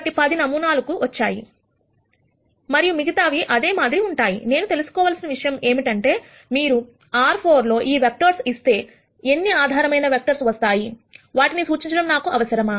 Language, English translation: Telugu, So, I have got these 10 samples and the other dots will be similar, now what I want to know is if you give me these, vectors in R 4, how many basis vectors do I need to represent them